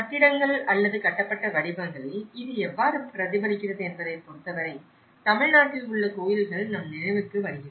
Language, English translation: Tamil, In terms of how it is reflected in the buildings or the built forms, we think about the temples in Tamil Nadu which we call the kovils